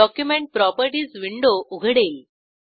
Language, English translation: Marathi, Document Properties window opens